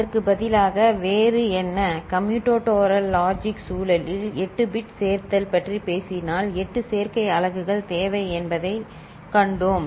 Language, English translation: Tamil, What else, so, instead of if we are talking about 8 bit addition in commutatoral logic context we have seen that eight adder units are required